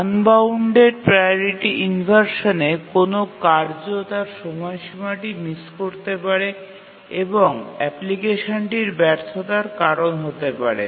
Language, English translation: Bengali, And unbounded priority inversion can cause a task to miss its deadline and cause the failure of the application